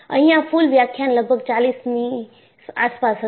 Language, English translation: Gujarati, So, total lectures would be around forty